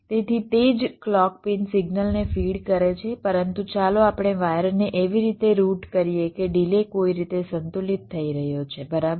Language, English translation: Gujarati, so the same clock pin is feeding the signal, but let us route the wires in such a way that the delays are getting balanced in some way